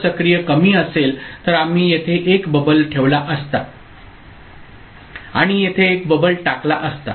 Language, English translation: Marathi, So, if active low then we would have put a bubble here and the put a bubble here